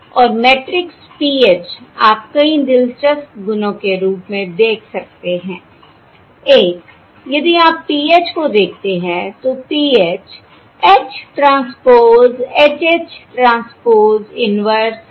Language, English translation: Hindi, Now, if you look at PH transpose, the transpose of this matrix is H transpose H, H transpose, inverse H transpose